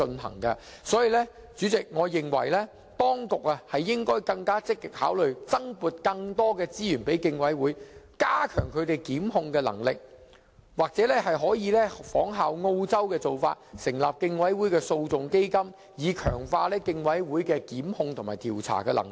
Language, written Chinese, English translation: Cantonese, 所以，代理主席，我認為當局應積極考慮增撥資源予競委會，加強他們的檢控能力，或可仿效澳洲的做法，成立競委會訴訟基金，以強化競委會檢控及調查的能力。, So Deputy President I think the authorities should actively consider the allocation of additional resources for the Commission as a means of enhancing their prosecutorial ability . Or the authorities may follow the practice of Australia and set up a litigation fund for the Commission so as to enhance the Commissions prosecutorial and investigative abilities